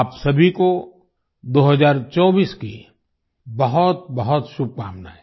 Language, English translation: Hindi, Best wishes to all of you for 2024